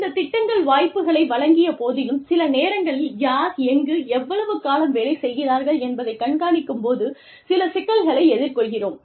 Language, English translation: Tamil, And, despite the opportunities, that these programs offer, we sometimes face problems, trying to keep track of, who is working where, and for how long